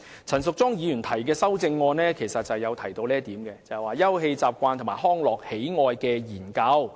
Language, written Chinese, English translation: Cantonese, 陳淑莊議員提出的修正案要求"盡快重新進行'休憩習慣與康樂喜愛研究'"。, Ms Tanya CHANs amendment requests the authorities to expeditiously conduct afresh the Study of Leisure Habits and Recreation Preferences